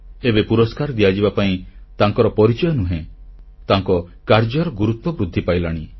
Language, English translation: Odia, Now the identity of the awardee is not the deciding factor of the award, rather the importance of his work is increasing